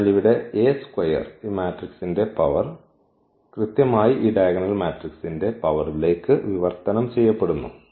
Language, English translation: Malayalam, So, here the A square the power of this matrix is 2 power of this matrix; it is coming to be that this power is exactly translated to the power of this diagonal matrix